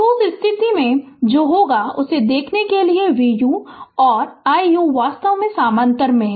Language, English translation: Hindi, So, in that case, what will happen you will see that 5 ohm and 1 ohm actually are in parallel